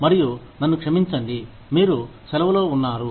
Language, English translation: Telugu, And, i am sorry, you were on leave